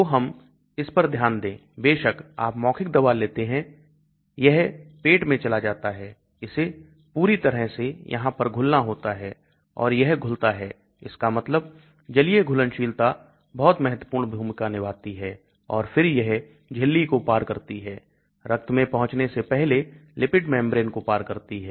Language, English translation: Hindi, So let us look at this, of course you take oral drug, it goes into the stomach, it has to completely dissolve here and that is dissolution happens that means aqueous solubility plays a very important role and then it crosses the membrane the lipid membrane before it reaches the blood